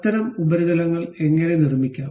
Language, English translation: Malayalam, How to construct such kind of surfaces